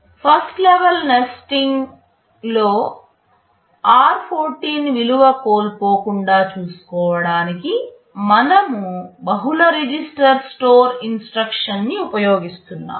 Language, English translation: Telugu, In the first level of nesting, just to ensure that my r14 value does not get lost, we are using a multiple register store instruction STMFD